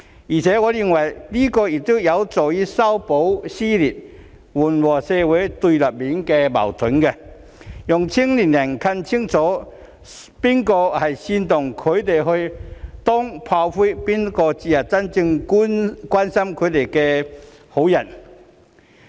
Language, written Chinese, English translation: Cantonese, 此外，我認為此舉亦有助修補撕裂、緩和社會對立面的矛盾，讓年輕人更清楚知道，究竟是誰煽動他們去當炮灰，誰才是真正關心他們的好人。, In addition I believe that this move will also help mend the rift ease the conflicts between the opposing sides in society and enable the young to know better who actually incited them to become cannon fodder and the good people who truly care about them